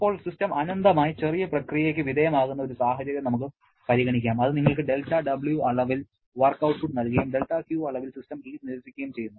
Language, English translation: Malayalam, Now, let us consider situation where the system undergoes an infinitesimally small process during which it gives you del W amount of work output and del Q amount of heat is rejected system